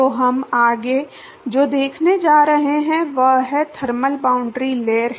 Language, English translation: Hindi, So, what we are going to see next is the thermal boundary layer